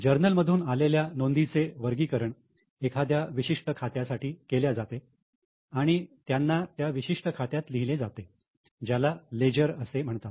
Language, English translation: Marathi, Now, from the journal the entries are classified and grouped for a particular account and they are written under a particular account in what is known as a ledger